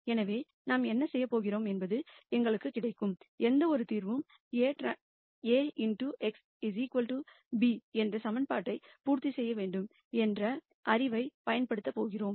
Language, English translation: Tamil, So, what we are going to do is we are going to use the knowledge that any solution that we get has to satisfy the equation A x equal to b